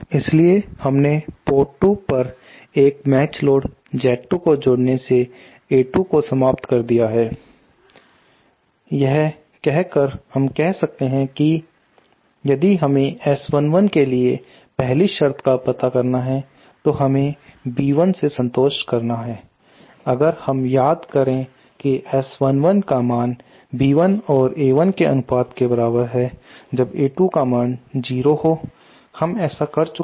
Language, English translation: Hindi, So we have by connecting a match load Z 2 at the at port 2 we have eliminated A 2, so then we can now if we find out so the first condition for S 1 1 we call that we had to satisfy was B 1, S 1 1 is equal to B 1 upon A 1 with A 2 equal to 0, so we have done that